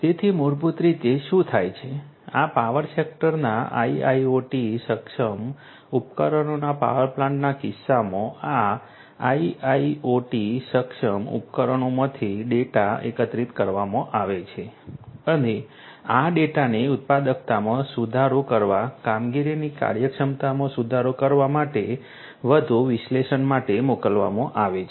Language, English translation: Gujarati, So, the basically what happens is, the data are collected from these IIoT enabled devices in the case of power plants from these power sector IIoT enabled devices and these data are sent for further analysis to improve the productivity to improve the efficiency of operations of the workforce that is working in the power plants and so on